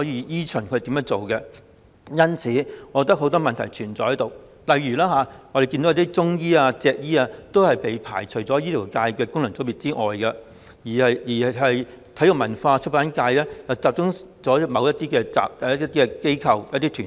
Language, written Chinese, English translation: Cantonese, 因此，我認為當中存在很多問題，例如很多中醫和脊醫被排除在醫學界功能界別外，而體育、演藝、文化和出版界又集中在某些機構和團體。, Thus I think many problems are involved . For instance many practitioners of traditional Chinese medicine and chiropractors are excluded from the Medical FC; the electors of the Sports Performing Arts Culture and Publication FC are restricted to certain institutions and organizations